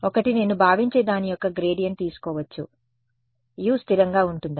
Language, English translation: Telugu, One is that I can take a gradient of this guy where I assume U is constant